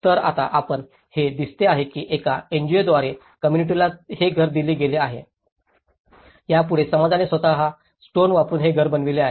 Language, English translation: Marathi, So, now you can see a community has been given this house by an NGO, next to it the community themselves have built this house by using the stone